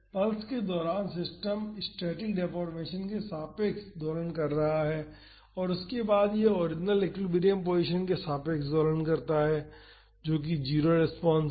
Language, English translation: Hindi, During the pulse the system is oscillating about the static deformation and after that it oscillates about the original equilibrium position that is the 0 response